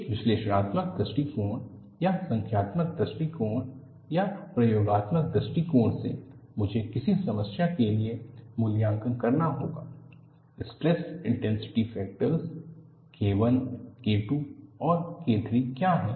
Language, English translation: Hindi, From an analytical point of view or numerical point of view or experimental point of view, I will have to evaluate, for a given problem, what are the stress intensity factors K 1, K 2 and K 3